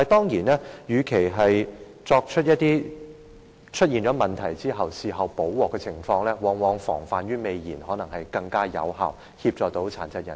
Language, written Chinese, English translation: Cantonese, 然而，與其在問題出現後補救，不如防患於未然，往往可能更有效地幫助殘疾人士。, However instead of taking remedial actions after the problem has emerged it is better to take precaution which may provide more effective assistance to them